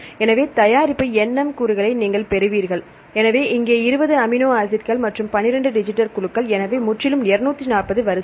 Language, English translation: Tamil, So, you will get the product say nm elements; so here 20 amino acids and 12 digital groups, so totally around 240 rows